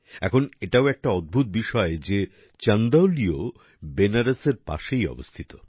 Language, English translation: Bengali, Now it is also a coincidence that Chandauli is also adjacent to Banaras